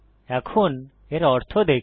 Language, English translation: Bengali, Lets see what this means